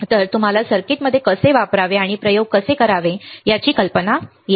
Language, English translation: Marathi, So, that you get the idea of how to use the circuit and how to perform experiments